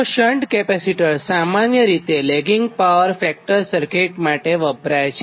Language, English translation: Gujarati, so shunt capacitors, basically used for a lagging power factor, circuit, ah